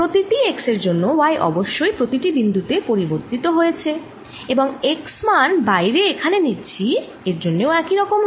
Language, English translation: Bengali, right, for each x, y has definitely changed at each point and we are taking the x value to be out here